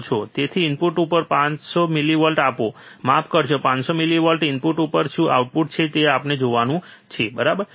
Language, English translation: Gujarati, So, applying 500 millivolts at the input, sorry, 500 millivolts at the input what is the output that we have to see, right